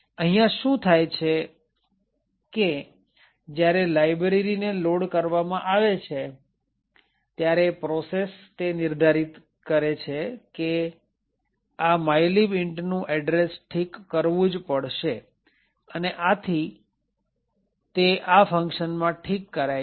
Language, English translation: Gujarati, What is happening here is that the when the library is getting loaded into the process would determine that the address of mylib int has to be fixed and therefore it would be fixed it in this function